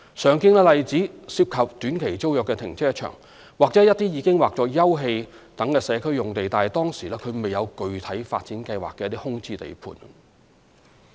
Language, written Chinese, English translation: Cantonese, 常見的例子涉及短期租約停車場，或一些已劃作休憩等社區用地但當時未有具體發展計劃的空置地盤。, Some common examples are the use of car parks operating under short - term tenancies or vacant sites zoned as open space but with no specific development plan